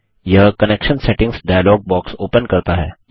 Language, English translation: Hindi, This opens up the Connection Settings dialog box